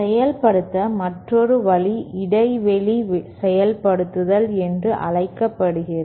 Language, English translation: Tamil, Another way of implementing is what is known as gap implementation